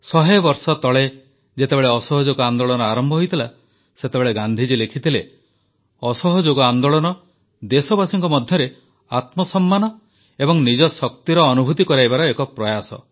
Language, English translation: Odia, A hundred years ago when the Noncooperation movement started, Gandhi ji had written "Noncooperation movement is an effort to make countrymen realise their selfrespect and their power"